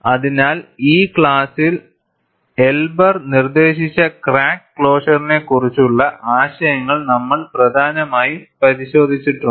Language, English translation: Malayalam, So, in this class, we have essentially looked at concepts of crack closure proposed by Elber